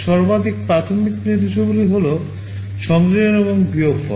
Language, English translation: Bengali, The most basic instructions are addition and subtraction